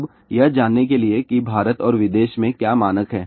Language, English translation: Hindi, Now, just would know what are the standards in India and abroad